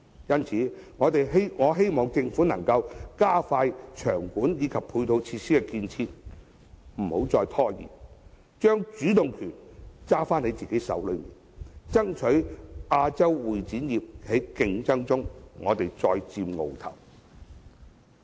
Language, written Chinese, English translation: Cantonese, 因此，我希望政府能加快場館及配套設施的建設，不要拖延，將主動權握在自己的手裏，爭取在亞洲會展業的競爭中再佔鰲頭。, Therefore I hope that the Government will speed up the construction of exhibition venues and ancillary facilities without delay taking the initiative in its own hands and striving to take the lead again in the competition of the CE industry in Asia